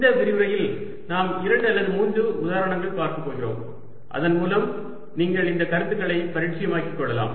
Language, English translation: Tamil, in this lecture we are going to look at two or three examples so that you get familiar with these concepts